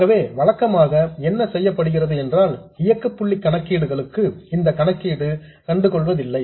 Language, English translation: Tamil, So, usually what is done is for operating point calculations, this is ignored